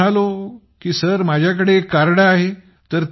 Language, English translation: Marathi, Then I said sir, I have it with me